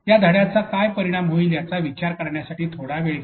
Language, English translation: Marathi, Take some moment to think what could be the impact of this lesson